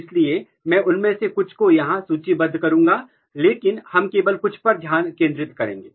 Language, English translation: Hindi, So, I will list some of them here, but we will focus on only few